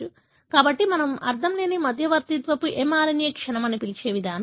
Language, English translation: Telugu, So, that is the mechanism what we call as nonsense mediated mRNA decay